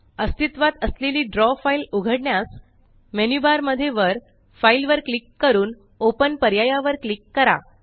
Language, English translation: Marathi, To open an existing Draw file, click on the File menu in the menu bar at the top and then click on the Open option